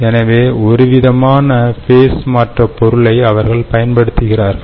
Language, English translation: Tamil, so this is some kind of a phase change material that they use